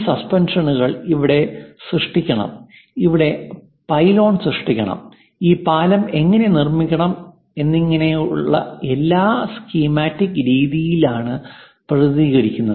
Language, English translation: Malayalam, And something like where these suspensions has to be created, where pylon has to be created, the way how this bridge has to be constructed, everything is in a schematic way represented